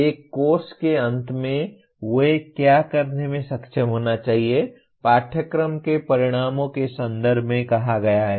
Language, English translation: Hindi, What they should be able to do at the end of a course is stated in terms of course outcomes